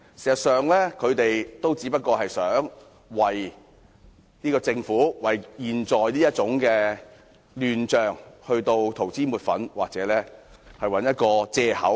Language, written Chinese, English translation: Cantonese, 事實上，他們只想為這個政府和目前的亂象塗脂抹粉或找藉口。, In fact they were only trying to varnish over the facts or find excuses for this Government and the current mess